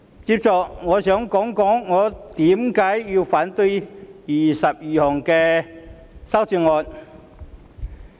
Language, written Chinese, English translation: Cantonese, 接着，我想談談我為何反對21項修正案。, Next I want to discuss why I oppose those 21 amendments